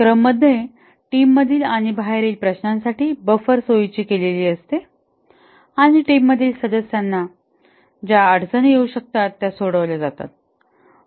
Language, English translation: Marathi, He facilitated the scrum is the buffer between the team and the outside interference and resolves any difficulties that the team members might be facing